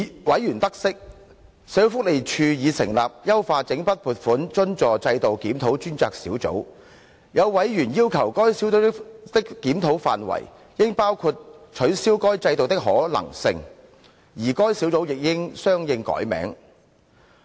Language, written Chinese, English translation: Cantonese, 委員得悉，社會福利署已成立"優化整筆撥款津助制度檢討專責小組"，有委員要求該小組的檢討範圍，應包括取消該制度的可能性，而該小組亦應相應改名。, Members learned that the Social Welfare Department had already set up the Task Force for Review on Enhancement of Lump Sum Grant Subvention System Task Force . Some members requested that the scope of review of the Task Force should include the possibility of abolition of LSGSS and the name of the Task Force should be revised accordingly